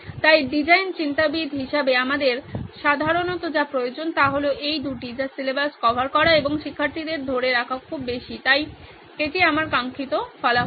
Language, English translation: Bengali, So as design thinkers what we generally need are these two which is the covered syllabus and student retention to be very high, so this is my desired result